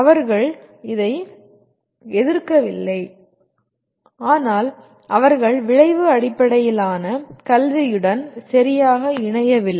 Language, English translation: Tamil, They are not in opposition to this but they are not perfectly in alignment with outcome based education